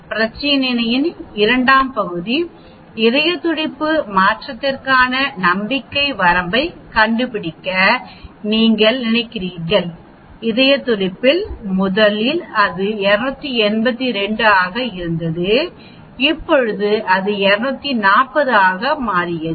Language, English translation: Tamil, The second part of the problem is you are suppose to find out the confidence limit for the change in the heart rate, change in the heart rate is originally it was 282 now it became 240